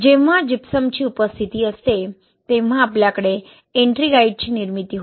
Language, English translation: Marathi, Now, when there is the presence of gypsum, you have a formation of Ettringite, okay